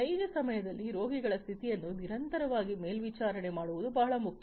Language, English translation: Kannada, It is often very much important to monitor the condition of the patients continuously in real time and so on